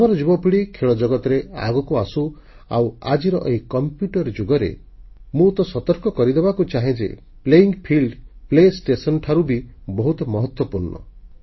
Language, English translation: Odia, The young generation of our country should come forward in the world of sports and in today's computer era I would like to alert you to the fact that the playing field is far more important than the play station